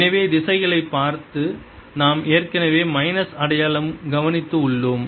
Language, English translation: Tamil, so minus sign we have already taken care of by looking at the directions